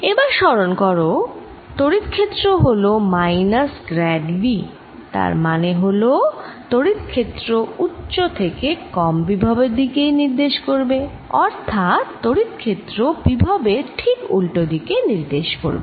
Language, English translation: Bengali, now remember that electric field is minus grad of v, the, and that means electric field would be from higher to lower potential